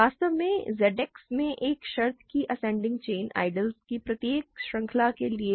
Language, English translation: Hindi, In fact, in Z X ascending chain of a condition holds for every chain of ideals